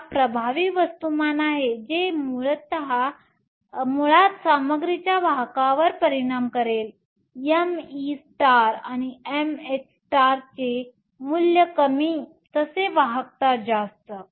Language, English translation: Marathi, Now, the effective mass term will basically affect the conductivity of the material lower the value of m e star and m h star, higher is the conductivity